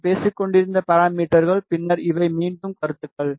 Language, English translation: Tamil, This is the parameters which I was talking about and then these are again comments